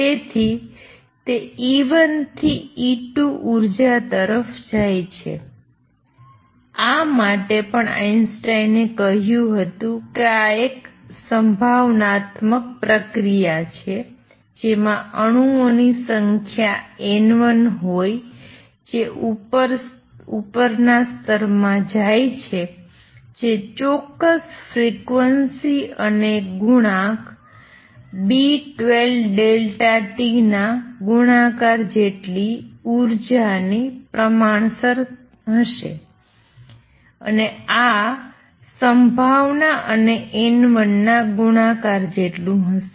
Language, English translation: Gujarati, So, it goes from E 1 to E 2 energy, for this also Einstein said that this is a probabilistic process in which the number of atoms, if that is N 1 going to upper state would be proportional to the energy corresponding to that particular frequency times the coefficient B 12 delta t this will be the probability times N 1 it is exactly what we said earlier